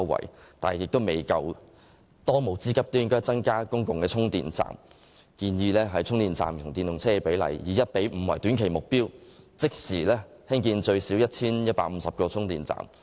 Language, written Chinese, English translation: Cantonese, 不過，這舉措仍然不足夠，當務之急是增加公共充電站，而我們建議將充電站與電動車的比例訂為 1：5 作為短期目標，即時興建最少 1,150 個充電站。, But this is still not enough . One urgent task at present is to increase the number of public charging stations . And we propose to set the ratio of charging stations to EVs at 1col5 as the short - term target and immediately build at least 1 150 charging stations